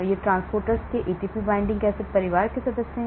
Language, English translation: Hindi, These are the member of ATP binding cassette family of transporters